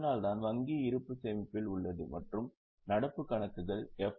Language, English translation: Tamil, That is why bank balances in saving and current accounts will be considered not in the FD account